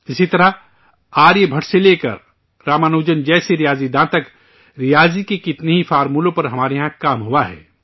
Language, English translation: Urdu, Similarly, from mathematicians Aryabhatta to Ramanujan, there has been work on many principles of mathematics here